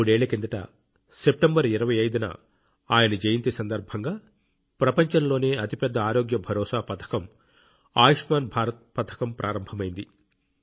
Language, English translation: Telugu, Three years ago, on his birth anniversary, the 25th of September, the world's largest health assurance scheme Ayushman Bharat scheme was implemented